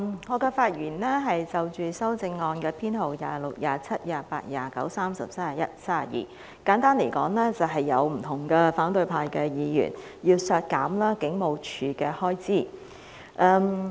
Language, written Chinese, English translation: Cantonese, 主席，我是就修正案編號26、27、28、29、30、31及32發言，簡單來說，有不同的反對派議員要求削減警務處的開支。, Chairman I am speaking on Amendment Nos . 26 27 28 29 30 31 and 32 . Simply put various Members of the opposition camp have requested to reduce the expenditure of the Police Force